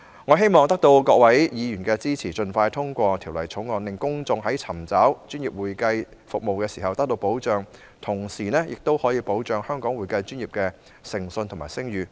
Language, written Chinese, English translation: Cantonese, 我希望得到各位議員支持，盡快通過《條例草案》，令公眾尋找專業會計服務時得到保障，同時，亦可保障香港會計專業的誠信和聲譽。, I hope to solicit Members support for the expeditious passage of the Bill so as to accord protection to people when they seek professional accounting services while also safeguarding the integrity and reputation of Hong Kongs accounting profession